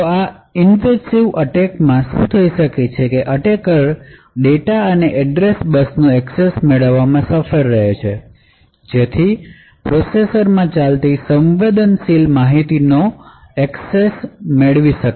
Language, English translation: Gujarati, What would happen in a very typical invasive attack is that the attacker would be able to monitor the address bus and the data bus and thus gain access to may be sensitive information that is executing in the processor